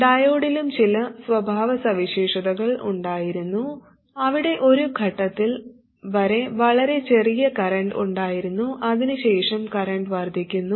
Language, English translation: Malayalam, The diode also had some characteristic where there was a very small current here up to some point and after that the current increases